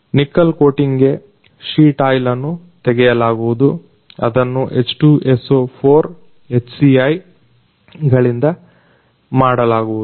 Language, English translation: Kannada, For nickel coating, sheet oil is removed, which is done by H2So4, HCl